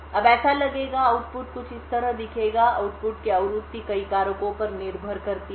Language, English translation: Hindi, Now it would look, the output would look something like this, the frequency of the output depends on multiple factors